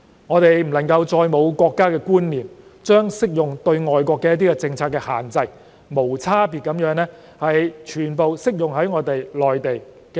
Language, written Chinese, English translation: Cantonese, 我們不能再沒有國家觀念，將適用於外國的政策限制，無差別地全部適用於內地。, It is time for us to gain a sense of national identity and stop indiscriminately applying policy restrictions applicable to foreign countries to the Mainland